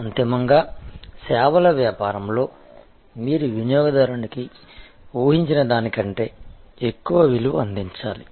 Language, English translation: Telugu, Ultimately in services business, you have to deliver to the customer consumer, more value than they expected